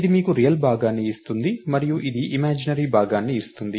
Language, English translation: Telugu, So, this gives you the real part and this is the imaginary part